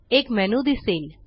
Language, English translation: Marathi, A menu appears